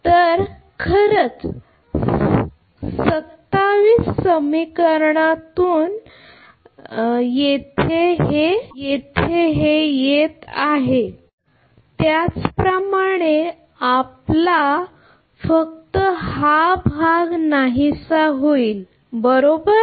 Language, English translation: Marathi, This is actually coming from equation 27 similarly your ah this thing only this part will be vanished right